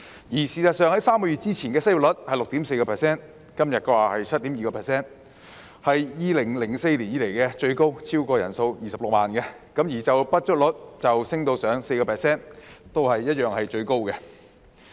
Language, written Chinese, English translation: Cantonese, 事實上 ，3 個月前的失業率是 6.4%， 而今天的是 7.2%， 是自2004年以來的最高位，失業人數超過26萬；而就業不足率亦升至 4%， 同樣都是最高位。, In fact three months ago the unemployment rate was 6.4 % and today it is 7.2 % the highest since 2004 with the number of unemployed people being over 260 000 . The underemployed rate has also risen to 4 % the highest likewise